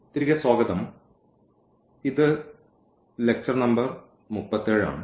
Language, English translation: Malayalam, So, welcome back and this is lecture number 37